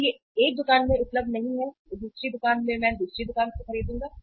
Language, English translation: Hindi, If it is available not in one store, in the other store, I will buy at other store